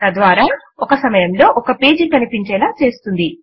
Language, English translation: Telugu, Thereby, it displays one page at a time